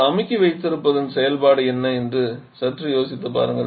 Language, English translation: Tamil, Just think what is the function of having a compressor